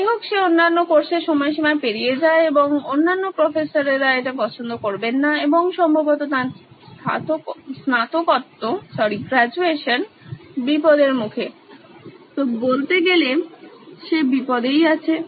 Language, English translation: Bengali, However, he goes on missing other courses deadlines and the other professors will not like that and probably his graduation will be on the line, so his neck is on the line so to speak